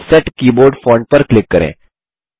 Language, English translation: Hindi, Click Set Keyboard Font